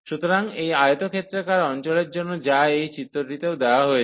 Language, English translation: Bengali, So, for this rectangular region, which is also given in this figure